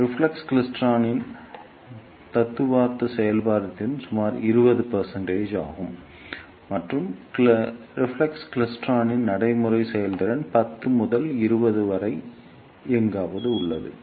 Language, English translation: Tamil, The theoretical efficiency of reflex klystron is about 20 percent, and the practical efficiency of the reflex klystron is somewhere between 10 to 20 percent